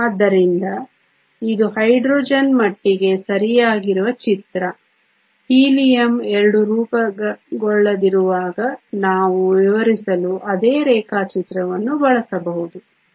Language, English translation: Kannada, So, this is the picture as far as Hydrogen is concern right we can use the same diagram to explain while Helium 2 will not form